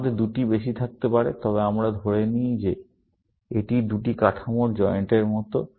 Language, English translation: Bengali, We can have more than two, but let us assume that this is like a joint of two structures